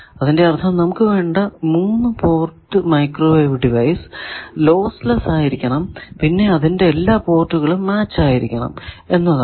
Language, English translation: Malayalam, That means, we demand from a 3 port microwave device, our wish list that it should be lossless, it should be matched that all the ports, and it should be reciprocal